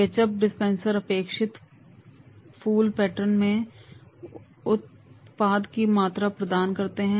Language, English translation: Hindi, Ketchup dispensers provide measured amount of products in the requisite flower pattern